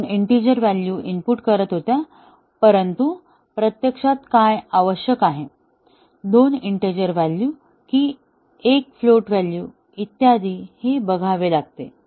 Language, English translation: Marathi, They were inputting 2 integer values, but, what is needed actually, 2 integer value and a float value and so on